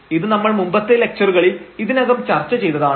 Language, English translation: Malayalam, So, we have already discussed this in the last lectures